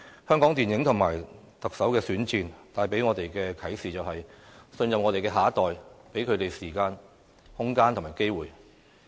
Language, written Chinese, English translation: Cantonese, 香港電影和特首選戰，帶給我們的啟示是，信任我們的下一代，給他們時間、空間和機會。, What the Hong Kong film industry and the Chief Executive Election tell us is that we have to trust our next generation . We have to give them time spaces and opportunities